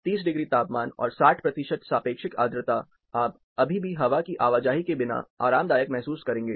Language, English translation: Hindi, 30 degrees, 60 percent relative humidity, you will still be comfortable without air movement